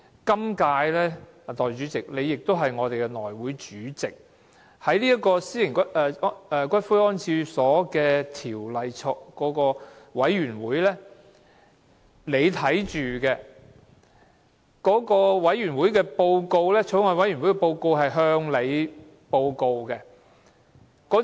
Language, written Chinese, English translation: Cantonese, 今屆，代理主席，你是我們的內務委員會主席，你是《私營骨灰安置所條例草案》委員會的委員，而法案委員會的報告是在內會會議上向你提交的。, In the current Legislative Council Deputy Chairman you are the Chairman of the House Committee and a member of the Bills Committee on Private Columbaria Bill . The report of the Bills Committee was presented to you in the House Committee meeting